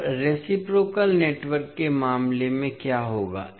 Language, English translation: Hindi, Now, what will happen in case of reciprocal network